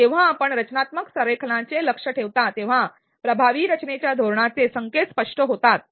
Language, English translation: Marathi, When you aim for constructive alignment the cues for an effective design strategy becomes evident